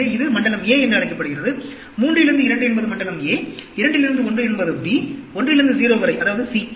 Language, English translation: Tamil, So, this is called zone a, 3 to 2 is zone a, 2 to 1 is b, 1 to 0, that is mean, as c